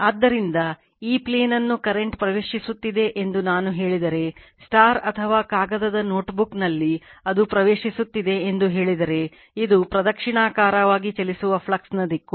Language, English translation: Kannada, So, if I say this current is entering into the plane right or in the paper your notebook say it is entering, then this is the direction of the flux right that is clockwise direction